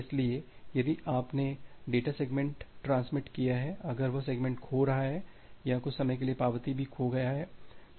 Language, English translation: Hindi, So, if you have transmitted data segment, if that segment is getting lost or sometime the acknowledgement can also get lost